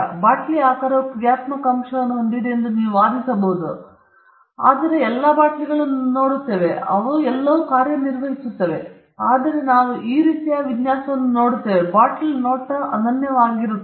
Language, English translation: Kannada, You may argue that the shape of the bottle has a functional element, but we are looking at all bottles have function in that sense, but we are looking at some kind of a design which makes a bottle look unique